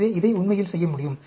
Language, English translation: Tamil, So, this can be done, actually